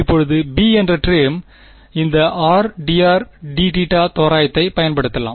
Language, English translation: Tamil, Now term b is where we can use our this r d r d theta approximation